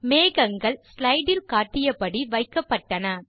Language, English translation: Tamil, The clouds are arranged as shown in the slide